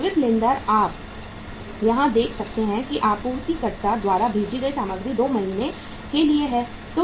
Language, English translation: Hindi, Sundry creditors you can see here that material consumed supplier’s credit is for 2 months